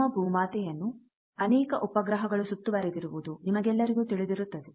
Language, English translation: Kannada, All of you know that our mother earth is surrounded by so many satellites